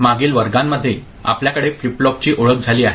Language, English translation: Marathi, In the previous classes we have got introduced to flip flops